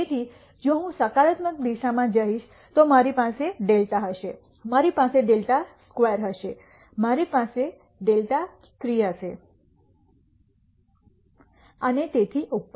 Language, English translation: Gujarati, So, if I go in the positive direction I will have a delta, I will have a delta squared, I will have delta cube and so on